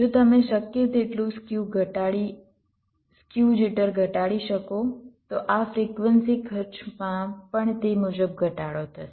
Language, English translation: Gujarati, so so if you can reduce skew jitter as much as possible, your this frequency cost will also reduced accordingly